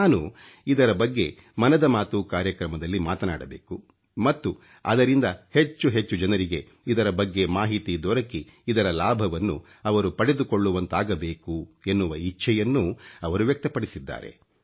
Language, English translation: Kannada, He has expressed his wish that I mention this in 'Mann Ki Baat', so that it reaches the maximum number of people and they can benefit from it